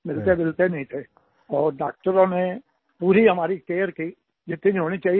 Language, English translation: Hindi, We wouldn't meet but the doctors took complete care of us to the maximum extent possible